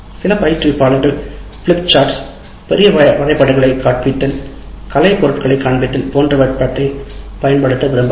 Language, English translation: Tamil, And some instructors may wish to use big things like flip chart, show large maps, show artifacts, demonstrate a device, or conduct an experiment